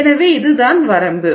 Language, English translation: Tamil, So, that is what it is